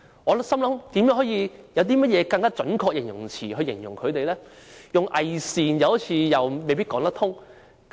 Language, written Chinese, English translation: Cantonese, 我在思考有何更準確的形容詞來形容反對派，用"偽善"未必正確。, I was pondering if there is a more accurate adjective to describe the opposition camp because hypocritical may not be correct